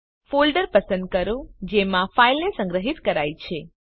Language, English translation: Gujarati, Choose the folder in which file is saved